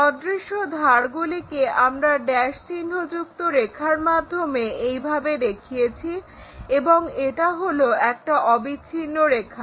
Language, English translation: Bengali, Any invisible side we showed them by dashed lines in that way and this is a continuous line